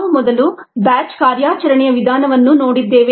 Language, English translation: Kannada, we first saw batch as the ah operating mode